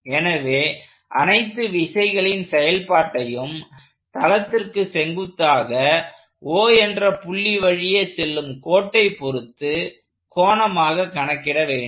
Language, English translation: Tamil, So, we are computing the action of all the forces in an angular sense about a line passing through the point O perpendicular to the plane of the paper